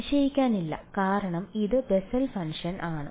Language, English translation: Malayalam, Not surprising because its a Bessel’s function